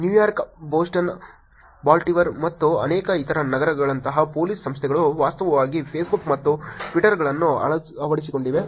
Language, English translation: Kannada, Police organizations like New York, Boston, Baltimore and many, many other cities have actually adopted Facebook’s and Twitter’s